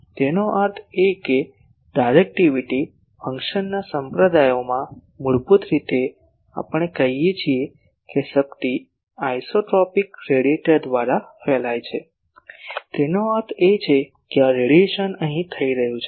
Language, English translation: Gujarati, That means, in the denominator of directivity function basically we say that power radiated by an isotropic radiator; that means, this radiation is taking place here